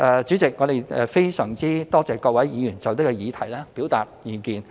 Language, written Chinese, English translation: Cantonese, 主席，我們非常多謝各位議員就這議題表達意見。, President we are greatly indebted to those Members who have expressed their views on this subject